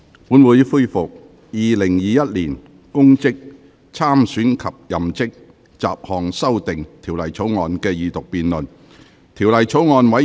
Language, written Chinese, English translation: Cantonese, 本會恢復《2021年公職條例草案》的二讀辯論。, This Council resumes the Second Reading debate on the Public Offices Bill 2021